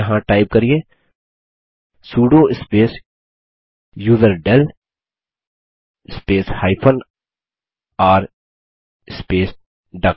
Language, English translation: Hindi, Here type sudo space userdel space r space duck